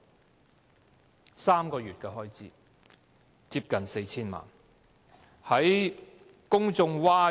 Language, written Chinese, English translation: Cantonese, 僅僅3個月的開支竟近 4,000 萬元，令公眾譁然。, Public raised a howl over this expenditure of close to 40 million for merely a three - month period